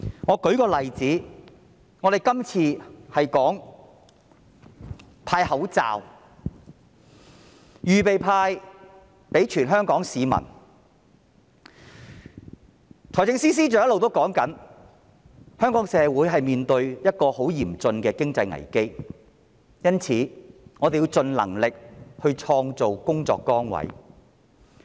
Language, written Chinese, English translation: Cantonese, 我以這次向全香港市民派發口罩一事為例，財政司司長一直表示，香港社會面對一個很嚴峻的經濟危機，因此我們要盡力創造工作崗位。, Taking the distribution of face masks to all Hong Kong citizens as an example the Financial Secretary has indicated that the Hong Kong society will face a very severe economic crisis so the Government has to try its best to create jobs